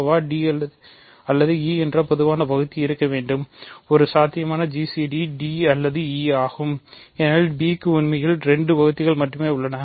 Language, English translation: Tamil, gcd, if a potential gcd I should write, a potential gcd is either d or e because b has only 2 divisors really